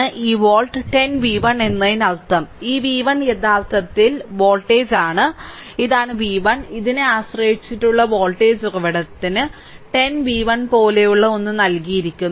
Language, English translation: Malayalam, And this volt 10 v 1 means this v 1 actually this is the voltage, this is the v 1, and this the dependent voltage source is given something like this 10 v 1 right